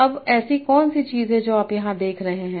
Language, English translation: Hindi, Now what is something that you are seeing here